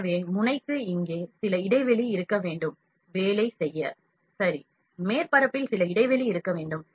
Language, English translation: Tamil, So, as there has to be some gap here for the nozzle to work in, ok, some gap at the surface has to be there